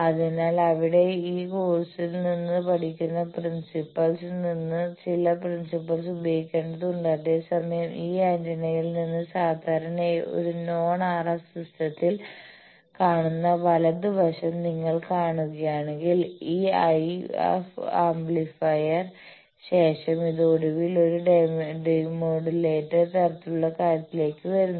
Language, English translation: Malayalam, So, that you will have to be apply into your design whereas, if you see the right side thing that typically in a non RF system like from this antenna finally, this after this IF amplifier it comes to finally, a demodulator sort of thing